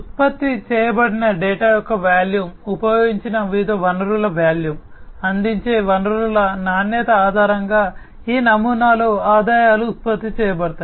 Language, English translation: Telugu, The revenues are generated in this model, based on the volume of the data that is generated, the volume of the different resources that are used, the quality of the resources that are offered